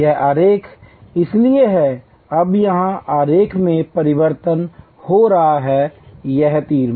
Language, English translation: Hindi, This diagram is therefore, now getting change to the diagram here, this arrow